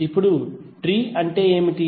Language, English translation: Telugu, Now what is tree